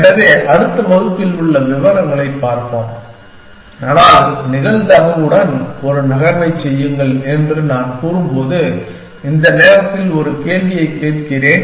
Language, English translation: Tamil, So, we will look at the details in the next class, but let me ask you one question at this moment, when I say make a move with the probability